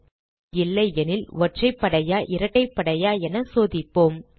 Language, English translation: Tamil, if the number is not a negative, we check for even and odd